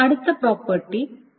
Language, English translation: Malayalam, The next property is the isolation